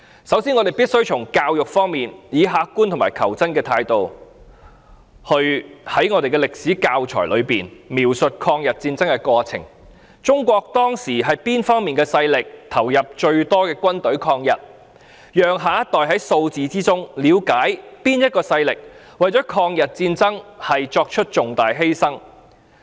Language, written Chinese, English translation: Cantonese, 首先，在教育方面，我們必須以客觀和求真的態度，在歷史教材中描述在抗日戰爭中，中國當時哪方面的勢力投入最多的軍隊抗日，讓下一代在數字中了解哪個勢力為了抗日戰爭作出重大犧牲。, In respect of education we must be objective and truth - seeking and describe in the teaching materials of history the forces in China that deployed more armed forces in the Anti - Japanese War to allow the younger generation to understand through figures the forces in China that made the biggest sacrifice in the Anti - Japanese War